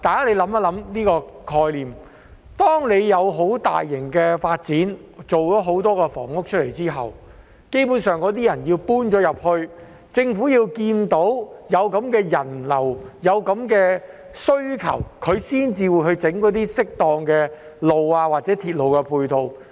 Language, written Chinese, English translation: Cantonese, 大家想想這個概念，當政府有大型發展，建造了很多房屋後，基本上政府要待有人遷入後，看到有人流及需求，才會建造適當的道路或鐵路配套。, Let us think about this concept . After the Government has taken forward some large - scale development projects in which many housing units are built it will construct suitable roads or ancillary railway facilities when people have moved in and it sees the flow of people and the demand